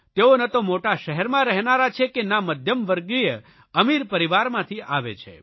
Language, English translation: Gujarati, He is not from a big city, he does not come from a middle class or rich family